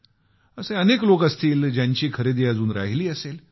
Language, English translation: Marathi, So there will be many people, who still have their shopping left